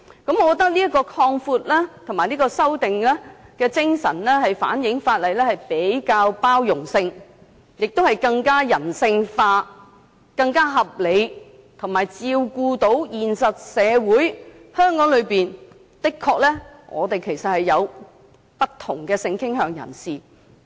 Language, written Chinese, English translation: Cantonese, 我覺得這項修正案，反映法例比較有包容性，亦更加人性化，更加合理，以及照顧現實社會的需要——香港的確有不同性傾向人士。, I think that this amendment reflects that the legislation is more tolerant more human and more reasonable as well as catering for the actual needs of society―there are people with different sexual orientation in Hong Kong